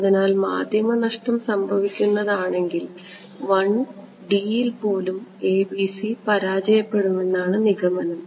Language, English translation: Malayalam, So, the conclusion is that even in 1D the ABC fail if the medium is lossy ok